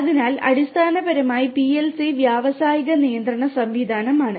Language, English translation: Malayalam, So, basically PLC is the industrial control system